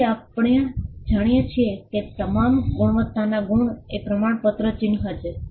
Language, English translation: Gujarati, So, all the quality marks that we know are certification mark